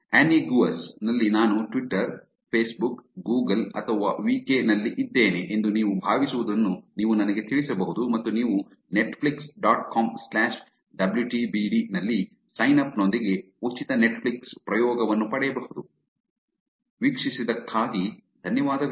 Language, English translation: Kannada, As always you can let me know what you think I am on Twitter, Facebook, Google or VK on anniegaus and you can get a free netflix trial with a signup on Netflix dot com slash wtbd, thanks for watching